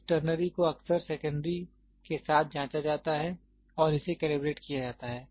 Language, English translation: Hindi, This ternary is frequently checked with the secondary and it is calibrated